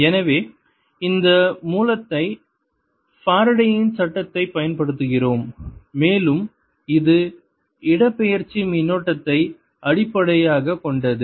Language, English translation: Tamil, so we use this source, faraday's law, and this was based on displacement current